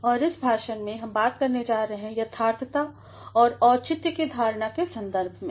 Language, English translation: Hindi, And, in this lecture, we are going to talk about the Notions of Correctness and Appropriateness